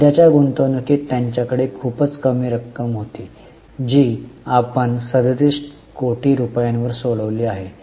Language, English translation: Marathi, They had a very small amount in current investments which we have disposed of now, 37 crores